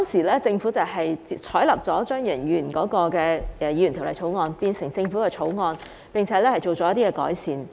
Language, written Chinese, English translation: Cantonese, 當時政府採納了張宇人議員的私人法案，改為政府法案，並作出改善。, Back then the Government accepted the Members bill of Mr Tommy CHEUNG and adopted that as a government bill with improvements